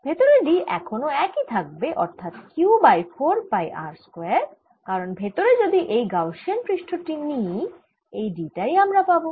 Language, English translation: Bengali, d inside is still the same: q over four pi r square, because if i take this gaussian surface inside, this is a d i am going to get